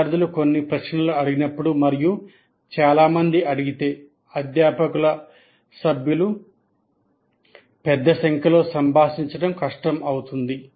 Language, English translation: Telugu, If there are some questions students are raising and if there are plenty then it will be difficult for faculty member to interact with large numbers